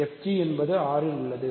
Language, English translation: Tamil, So, fg is in R